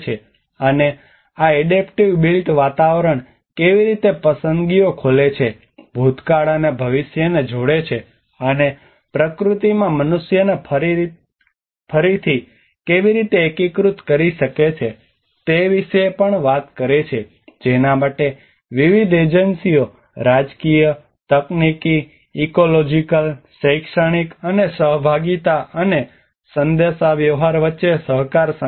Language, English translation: Gujarati, And this also talks about how the adaptive built environments open up choices, connect past and future, and how it can reintegrate the humans in nature for which cooperation coordination between various agencies political, technological, ecological, educational and as well as the participation and communication across various segments the global actors in the National